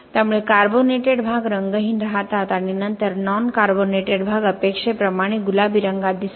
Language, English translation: Marathi, So you could see the carbonated portions are staying colorless and then the non carbonated portion will be in pink color as expected